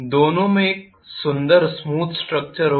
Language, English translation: Hindi, Both will have a pretty smooth structure